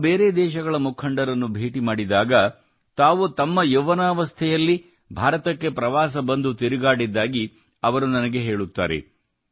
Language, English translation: Kannada, When I meet leaders of other countries, many a time they also tell me that they had gone to visit India in their youth